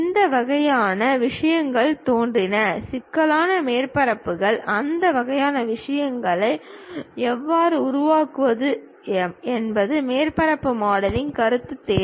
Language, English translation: Tamil, These kind of things have surfaces, a complicated surfaces; how to really make that kind of things requires surface modelling concept